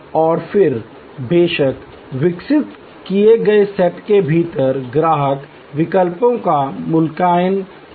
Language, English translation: Hindi, And then of course, within the evoked set the customer evaluates the alternatives